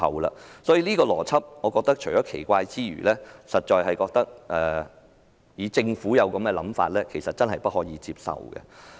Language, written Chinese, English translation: Cantonese, 我認為這個邏輯十分奇怪，如果政府有這樣的想法，其實真的不能接受。, I think this logic is very weird . If the Government thinks this way it is indeed unacceptable